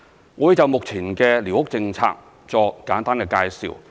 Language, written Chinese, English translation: Cantonese, 我會就目前的寮屋政策作簡單介紹。, I will give a brief introduction on the existing squatter policy